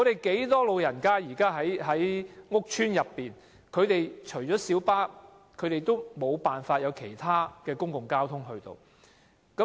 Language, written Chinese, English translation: Cantonese, 可是，很多住在屋邨的長者，除了小巴便沒有其他公共交通工具。, Yet many elderly people living in housing estates do not have other means of public transport apart from light buses